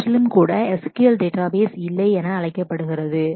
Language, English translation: Tamil, They are also known as no SQL databases